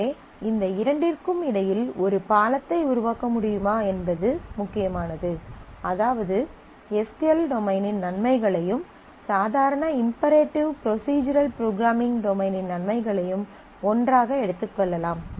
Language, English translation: Tamil, So, what is critical is can we make a bridge between these two that is can we take the advantages of the SQL domain and the advantages of the normal imperative procedural programming domain together